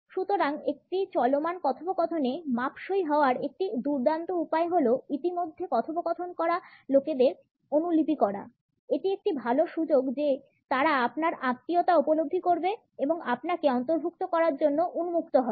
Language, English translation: Bengali, So, a great way to fit into an ongoing conversation is to mirror the people already conversing; there is a good chance they will sense your kinship and open up to include you